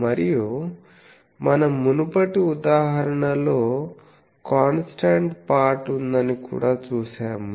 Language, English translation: Telugu, And we can actually in a previous example also we have seen there is a constant part